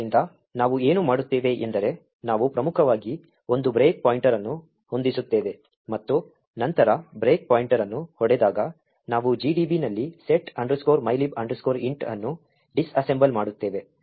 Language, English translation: Kannada, So, what we do is we set a breakpoint in main and then when the breakpoint is hit, we do a disassemble setmylib int in GDB